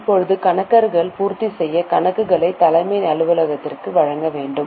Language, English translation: Tamil, Now accountants were required to furnish the completed accounts to the head office